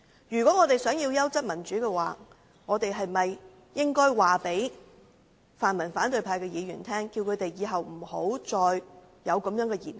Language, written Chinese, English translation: Cantonese, 如果我們想要優質的民主，是否應該告訴泛民反對派議員日後不要再作出這樣的言行？, If we want quality democracy we should call on pan - democratic opposition Members not to say and do something like this in future shouldnt we?